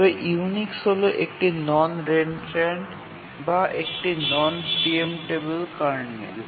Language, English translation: Bengali, But then the Unix is a non reentrant or a non preemptible kernel